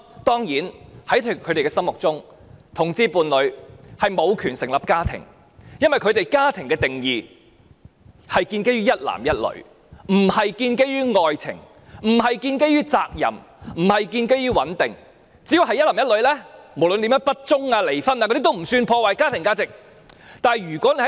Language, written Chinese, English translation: Cantonese, 當然，在他們的心目中，同志伴侶無權成立家庭，因為他們對家庭的定義是建基於一男一女，不是建基於愛情，不是建基於責任，不是建基於穩定，只要是一男一女，無論怎樣不忠、離婚也不算是破壞家庭價值。, Of course in their hearts homosexual couples do not have the right to establish a family because according to their definition a family is based on a man and a woman not love not responsibility or stability . As long as there are a man and a woman in the family it is fine even though they are not faithful to each other . To them divorce will not undermine family values